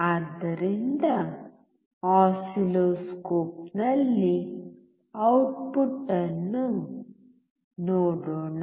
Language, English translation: Kannada, So, let us see the output in the oscilloscope